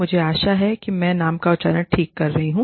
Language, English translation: Hindi, I hope, i am pronouncing the name, right